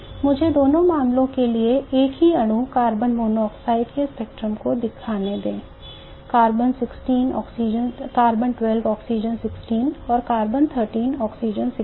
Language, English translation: Hindi, Let me show the spectrum of the same molecule carbon monoxide for both the cases, the C12, O16 and C13, O16